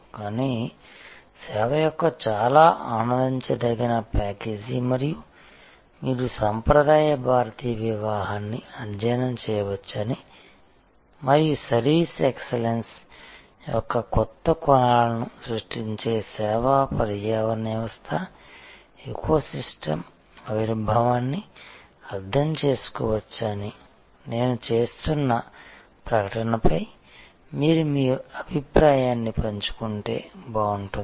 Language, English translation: Telugu, But, quite enjoyable package of service and it will be nice if you share your opinion on this the statement that I am making that we can study a traditional Indian wedding and understand the emergence of service eco system which will create new dimensions of service excellence in today's world